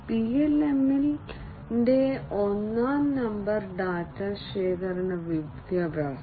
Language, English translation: Malayalam, Number 1 data gathering education of PLM